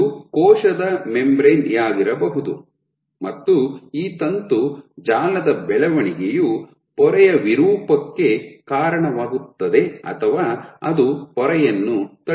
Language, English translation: Kannada, So, this can be my cell membrane and this growth of this filament network will lead to membrane deformation or rather it will push the membrane